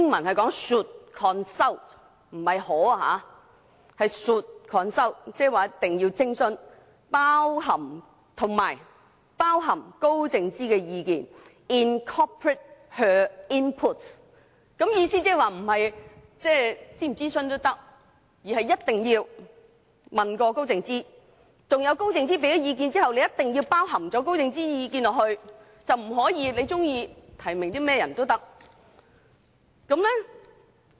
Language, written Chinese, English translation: Cantonese, 這表示一定要徵詢及包含高靜芝的意見，表示並非可選擇諮詢與否，而是一定要徵詢高靜芝的意見，而在徵詢高靜芝的意見後須包含高靜芝的意見在其中，不能按個人意願提名任何人。, This shows that they must consult Sophia KAO and incorporate her inputs . It does not mean they may choose whether to consult her or not . Rather they must consult Sophia KAO and after consulting Sophia KAO they must incorporate her inputs